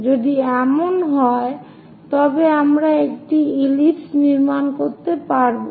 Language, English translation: Bengali, For example, let us take an ellipse